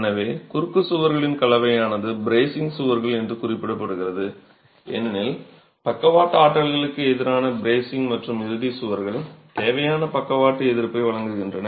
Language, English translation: Tamil, So, a combination of the cross walls also referred to as bracing walls because they are bracing against the lateral forces and the end walls provide the required lateral resistance